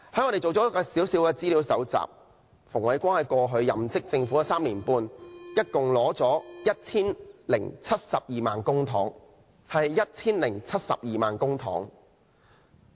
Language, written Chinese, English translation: Cantonese, 我們搜集了一些資料，顯示馮煒光在過去任職政府的3年半中，一共收取 1,072 萬元公帑。, According to the information we have collected Andrew FUNG has received 10.72 million in total in public coffers during the past three years and a half when he was serving the Government